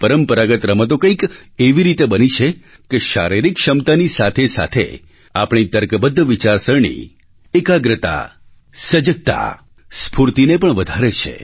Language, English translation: Gujarati, Traditional sports and games are structured in such a manner that along with physical ability, they enhance our logical thinking, concentration, alertness and energy levels